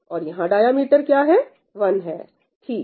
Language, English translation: Hindi, What is the diameter here it is 1